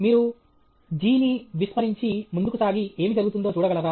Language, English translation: Telugu, Can you ignore g and proceed and see what happens